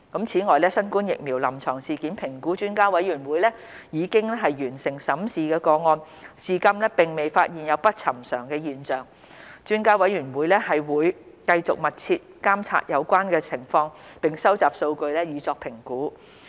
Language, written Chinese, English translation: Cantonese, 此外，新冠疫苗臨床事件評估專家委員會已完成審視的個案，至今並未發現有不尋常的現象，專家委員會會繼續密切監察有關情況並收集數據以作評估。, Moreover among those cases already reviewed by the Expert Committee on Clinical Events Assessment Following COVID - 19 Immunisation no unusual pattern has been identified so far . The Expert Committee will continue to closely monitor the relevant situation and collect data for assessment